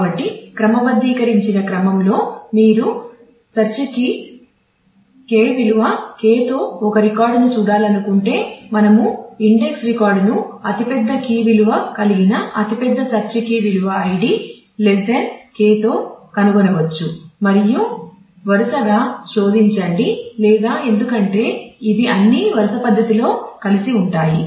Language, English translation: Telugu, So, in the sorted order so, this if you want to say look at a record with search K value K we can find the index record with the largest key value largest search key value id value which is less than K and then search sequentially or onwards because these are all linked together in the sequential manner